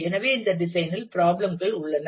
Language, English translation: Tamil, So, this design has problems